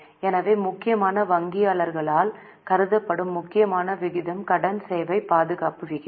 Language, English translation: Tamil, So, important ratio which is mainly considered by bankers is debt service coverage ratio